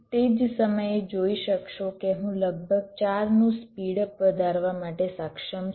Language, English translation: Gujarati, so you can see, in the same time i am able to have a speed up of about four